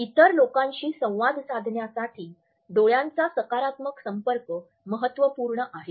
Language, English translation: Marathi, Positive eye contact is important in our interaction with other people